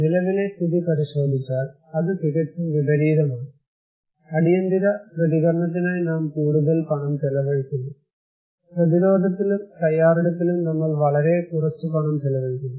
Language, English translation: Malayalam, But if you look into the current situation, it is totally opposite, we are spending more money in emergency response and very less money in prevention and preparedness, right